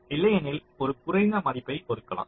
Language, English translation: Tamil, if otherwise you assign a lower value